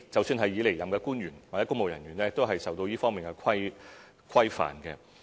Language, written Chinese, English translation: Cantonese, 即使已離任的官員或公務人員，都受到這方面的規範。, Even officials or public officers who have left office are regulated in this regard